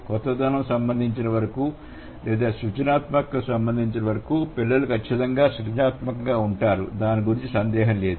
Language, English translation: Telugu, So as far as the innovation is concerned or as far as the creativity is concerned, the children are definitely creative, absolutely no doubt about it